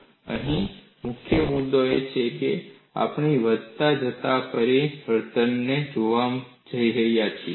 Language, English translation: Gujarati, And the key point here is, we are going to look at incremental change